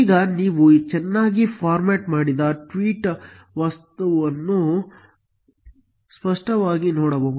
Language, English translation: Kannada, Now, you can clearly see a well formatted tweet object